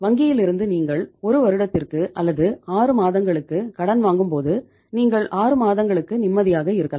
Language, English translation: Tamil, So if you borrow money from the bank for a period of 1 year or maybe for 6 months, at least for 6 months you are relaxed